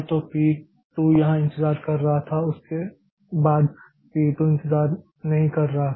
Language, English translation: Hindi, So, P2 was waiting here and after that P2 was not waiting